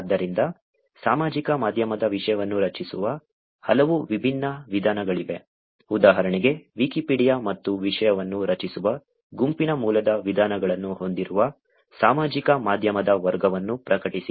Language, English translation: Kannada, So, there are many different ways in which social media content is getting generated, for example, publish which is of the category of social media which has Wikipedia and crowd sourced ways of creating content